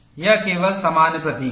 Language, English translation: Hindi, It is only generic symbol